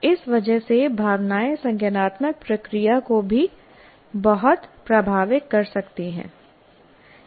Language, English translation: Hindi, And because of that, the emotions can greatly influence your cognitive process as well